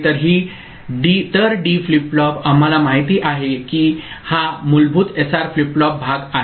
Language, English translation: Marathi, So, the D flip flop we know this is basic the SR flip flop part of it